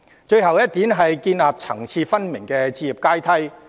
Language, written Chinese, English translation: Cantonese, 最後一點，建立層次分明的置業階梯。, My last proposal is to build a home ownership ladder with clearly defined levels